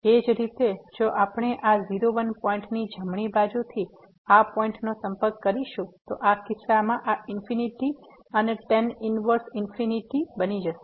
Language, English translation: Gujarati, Similarly, if we approach this point from the right side of this point, then in this case this will become infinity and the tan inverse infinity